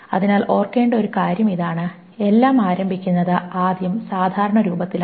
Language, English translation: Malayalam, So this is one thing to remember that everything is in fast normal form to start with